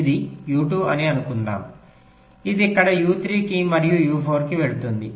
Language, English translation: Telugu, let say this: one is u two, this goes to u three here and u four here